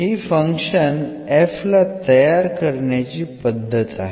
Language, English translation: Marathi, So, this is the construction process of this function f